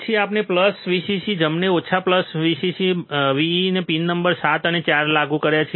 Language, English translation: Gujarati, Then we have applied plus Vcc, right and minus Vcc or Vee to the pin number 7 and 4, right